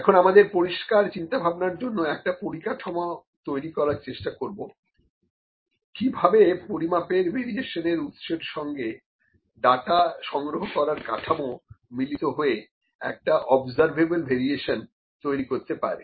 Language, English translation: Bengali, Now this we provide a framework for the clear thinking about how sources of measurement variation and data collection structures combine to produce an observable variation